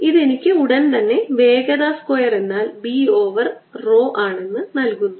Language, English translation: Malayalam, this immediately gives me that velocity square is b over row